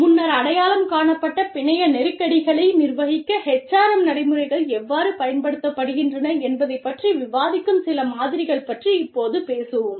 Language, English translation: Tamil, Now, we will talk about some models, that discuss, how HRM practices are used, to manage networked tensions, identified earlier